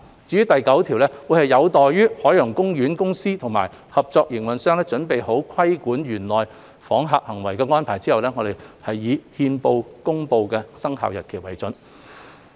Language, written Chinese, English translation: Cantonese, 至於第9條，則有待海洋公園公司及合作營運商準備好規管園內訪客行為的安排後，我們以憲報公布的生效日期為準。, As for clause 9 it will not take effect until OPC and its cooperators have made arrangements to regulate the behaviour of visitors in OP and the commencement date will be published in the Gazette